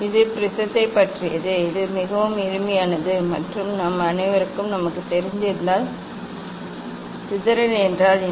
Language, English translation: Tamil, this is about the prism and this although very simple and well known to all of us and what is dispersion